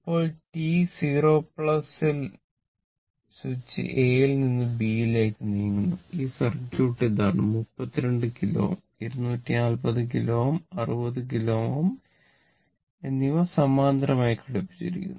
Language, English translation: Malayalam, Now, at t 0 plus switch moves from A to B, that is your the switch actually moving from A to B and this is the circuit this 32 kilo ohm and 240 and 60 kilo ohm are in parallel right this 2 are in parallel